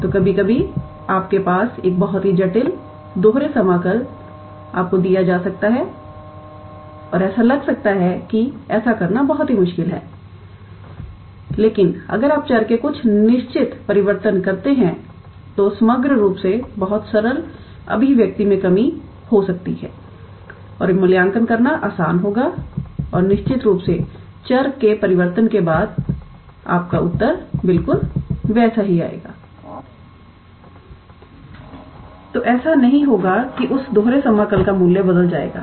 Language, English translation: Hindi, So, sometimes you may have a very complicated double integral given to you and it might seem that it is very difficult to do that, but if you do some certain change of variables, then the overall integral might reduce to a very simple expression and that will be easy to evaluate and of course, after doing the change of variables, your answer will still remain the same